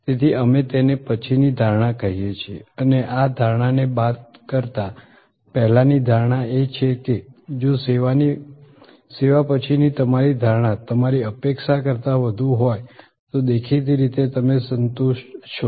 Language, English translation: Gujarati, So, we call it post conception and this perception minus the pre conception expectation is if you perception after the service is higher than your expectation then; obviously, your satisfied